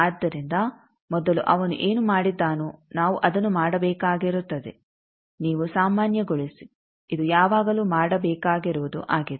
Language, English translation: Kannada, So what he has done first we will have to do that you normalize that is always to be done